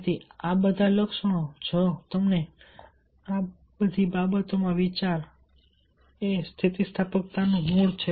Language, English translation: Gujarati, so if you think in all these things, all these active words, these are the core of resilience